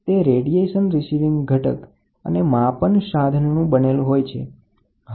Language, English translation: Gujarati, It consists of a radiation receiving element and the measuring device